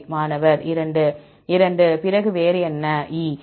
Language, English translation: Tamil, 2 2, then what else, E